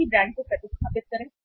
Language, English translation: Hindi, Substitute same brands